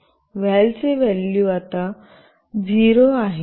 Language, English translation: Marathi, The value for “val” is 0 now